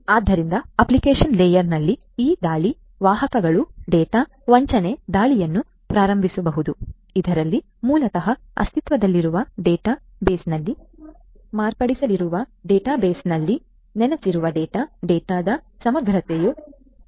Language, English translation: Kannada, So, at the application layer, these attack vectors could be launching data spoofing attack; where, wherein basically the existing database the data that is resident in the database they are going to be modified, the integrity of the data is going to be is going to be hard and so on